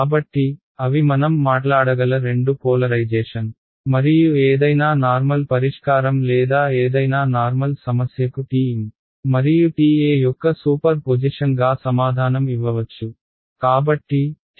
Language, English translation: Telugu, So, those are two polarizations that we can we can talk about and any general solution or any general problem can be answered as a superposition of TM and TE